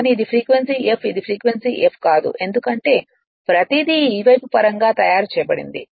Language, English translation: Telugu, So, this is frequency F this is frequency F naught right because everything is made in terms of this side right